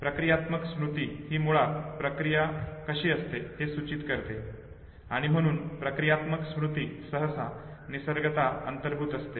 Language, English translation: Marathi, Whereas procedural memory it basically denotes how of the procedure, and therefore procedural memory is usually implicit in nature